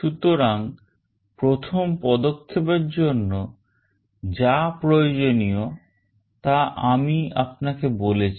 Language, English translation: Bengali, So, what we are doing the first step that is required is as I told you